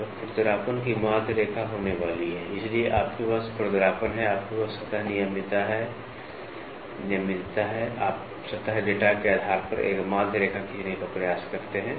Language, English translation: Hindi, So, the mean line of roughness is going to be, so, you have a roughness, you have a surface regularity, you try to draw a mean line based upon the surface data